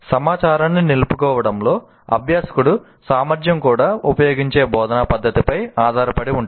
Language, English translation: Telugu, The learner's ability to retain information is also dependent on the type of teaching method that is used